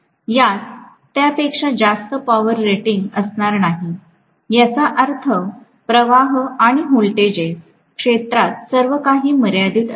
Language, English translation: Marathi, It will not have a power rating more than that, which means the currents and the voltages; everything will be somewhat limited in the field